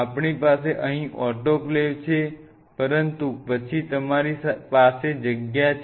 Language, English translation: Gujarati, So, we have the autoclave here, but then you have a space out there